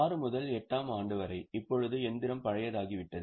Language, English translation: Tamil, And for year 6 to 8, now the machine has rather become older